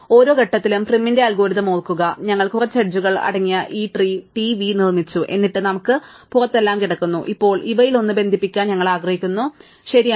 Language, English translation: Malayalam, So, at every stage remember in prim's algorithm, we have built this tree TV which consists of a few edges, and then we have everything just lying outside and now among these we want to connect one of them, right